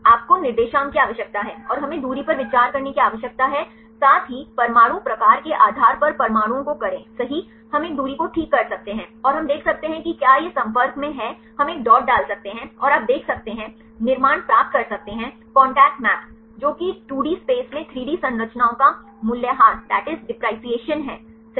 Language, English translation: Hindi, You need the coordinates and we need to consider the distance plus the atoms right depending upon the atom type right we can fix a distance, and we can see if this is in contact we can put a dot, and you can see, get the construct the contact maps that is simply the depreciation right of the 3D structures in 2D space